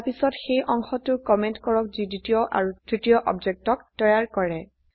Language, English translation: Assamese, Then Comment the part which creates the second and third objects